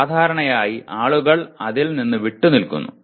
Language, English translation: Malayalam, Normally people refrain from that